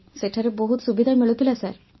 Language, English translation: Odia, There were a lot of facilities available there sir